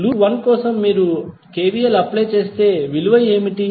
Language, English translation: Telugu, For loop 1 if you applied what will be the value